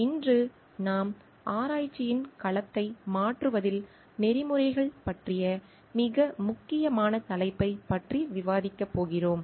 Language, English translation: Tamil, Today we are going to discuss about a very important topic which is about ethics in changing domain of research